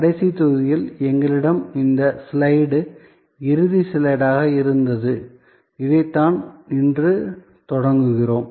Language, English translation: Tamil, In the last module we had this slide, which was the ending slide and this is, where we start today